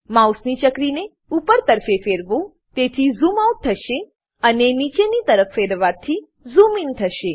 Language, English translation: Gujarati, Move the mouse wheel upwards to zoom out, and downwards to zoom in